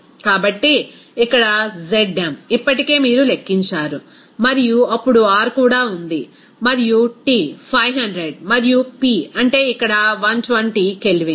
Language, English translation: Telugu, So, here Zm already you have calculated and then R is even there and T is 500 and what is that P is here 120 K